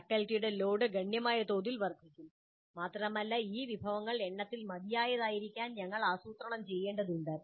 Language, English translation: Malayalam, So the load on the faculty is going to be fairly substantial and we need to plan to have these resources adequate in number